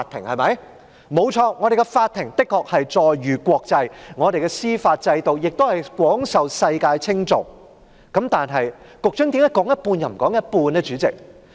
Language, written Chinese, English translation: Cantonese, 我們的法庭確實載譽國際，我們的司法制度亦廣受世界稱頌，但局長為何只說一半，卻不說另一半呢？, Our courts indeed enjoy a worldwide reputation and our judicial system wins accolades around the world but why does the Secretary only tell half of the truth while concealing the other half?